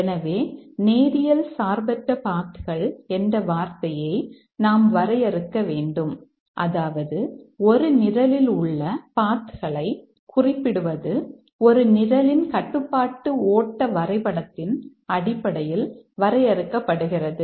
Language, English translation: Tamil, And as I was mentioning the paths in a program are defined in terms of the control flow graph of a program